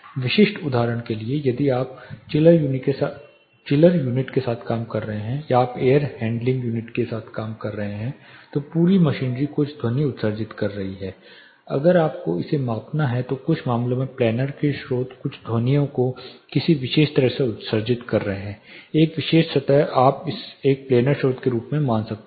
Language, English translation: Hindi, For specific example say if you are working with the chiller unit or you are working with the air handling unit the whole machinery is emitting some sound, if you have to measure it some cases the planar sources the total sounds get emitted from a particular plane or a particular surface you can treat it as a planar source